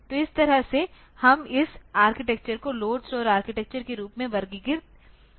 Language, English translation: Hindi, So, this way we can have this architecture a classified as load store architecture